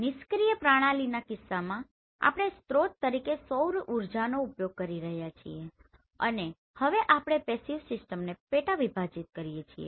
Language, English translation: Gujarati, In case of passive system, we are using solar energy as source and here if you subdivide this passive system